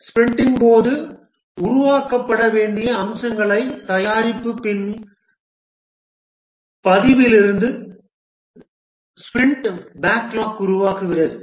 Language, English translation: Tamil, Here the sprint backlog is formed from the product backlog, the features to be developed during the sprint